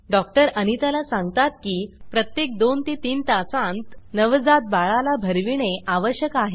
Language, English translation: Marathi, The doctor tells Anita that a newborn baby needs to be fed every 2 to 3 hours